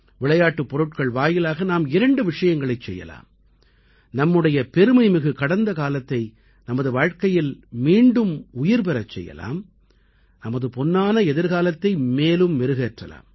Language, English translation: Tamil, We can do two things through toys bring back the glorious past in our lives and also spruce up our golden future